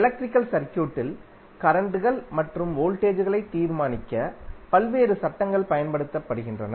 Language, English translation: Tamil, There are various laws which are used to determine the currents and voltage drops in the electrical circuit